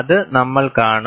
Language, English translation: Malayalam, We will see that